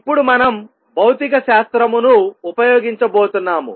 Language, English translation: Telugu, Now, we are going to use some physics